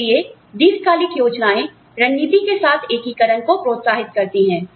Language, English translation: Hindi, So, long term plans encourage, the integration with strategy